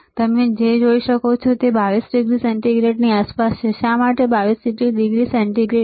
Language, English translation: Gujarati, And what you can see is it is around 22 degree centigrade, why 22 degree centigrade